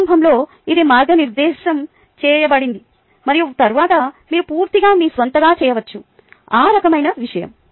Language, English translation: Telugu, initially it was guided and then, completely, can you do it on your own